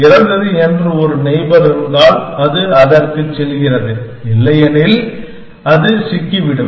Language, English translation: Tamil, If there is a neighbor which is better, it goes to that, otherwise, it gets stuck